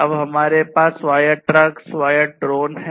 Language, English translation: Hindi, We now have autonomous trucks, autonomous drones